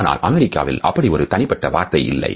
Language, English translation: Tamil, In the US there is no such single word for that